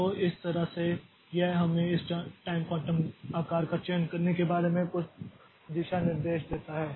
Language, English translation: Hindi, So, this way it gives us some guideline about how to select this time quantum size